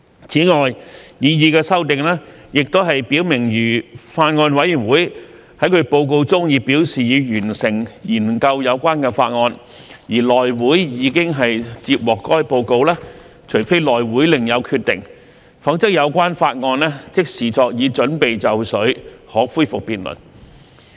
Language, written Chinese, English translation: Cantonese, 此外，擬議修訂亦表明如法案委員會在其報告中表示已完成研究有關法案，而內會已接獲該報告，除非內會另有決定，否則有關法案即視作已準備就緒可恢復辯論。, Besides the proposed amendment also makes it clear that if a Bills Committee indicates in its report that it has completed consideration of the relevant bill and the report has been received by HC unless otherwise decided by HC the bill is regarded as ready for resumption of debate